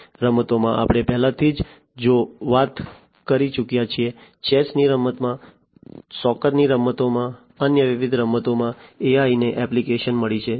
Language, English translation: Gujarati, In games we have already talked about, in chess game, in soccer games, in different other games, right, AI has found applications